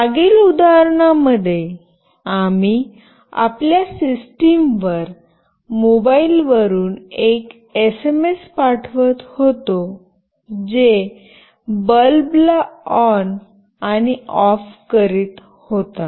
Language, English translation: Marathi, In the previous example we were sending an SMS from a mobile to your system that was making the bulb glow on and off